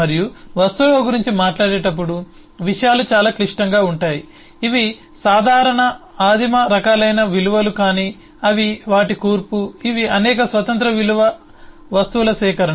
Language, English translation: Telugu, and things really get complex when we talk about objects, which is not simple primitive types of values, but they are composition of, they are collection of several independent value items which we say are properties